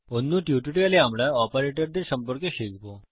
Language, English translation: Bengali, In another tutorial were going to learn about operators